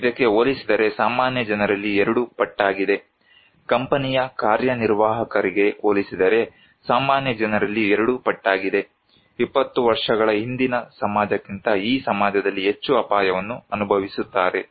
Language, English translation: Kannada, Twice as many people in the general public compared to so, general public twice compared to company executive, think more risk in society than 20 years ago